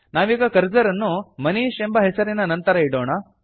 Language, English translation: Kannada, Let us place the cursor after the name,MANISH